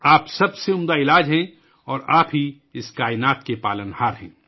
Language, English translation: Urdu, You are the best medicine, and you are the sustainer of this universe